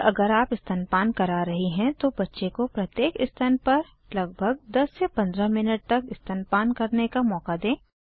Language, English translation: Hindi, Also, if youre breastfeeding, give your baby the chance to nurse about 10 15 minutes at each breast